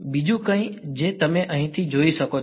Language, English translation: Gujarati, Anything else that you can notice from here